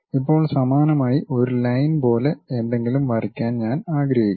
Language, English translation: Malayalam, Now, similarly I would like to draw something like a Line